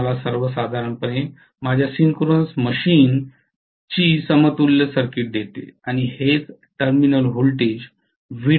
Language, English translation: Marathi, So this actually gives me the equivalent circuit of my synchronous machine in general and this is what is available as Vt, the terminal voltage